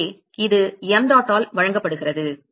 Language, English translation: Tamil, So, that is given by mdot by